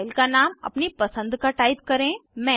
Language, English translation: Hindi, Type the file name of your choice